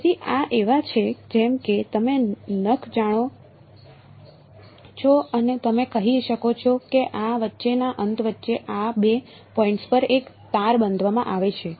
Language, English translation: Gujarati, So, these are like you know nails you can say and a string is tied at these two points between this end between